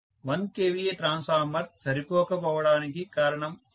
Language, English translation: Telugu, That is the reason why 1 kVA transformer was not sufficient